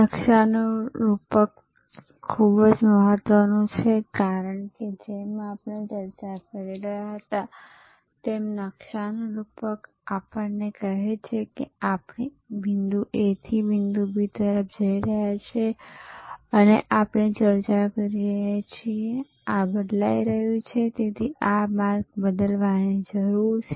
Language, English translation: Gujarati, The map metaphor is very important, because as we were discussing, the map metaphor tells us, that we are going from point A to point B and we have discussed that this is changing, this is changing therefore, this route needs to change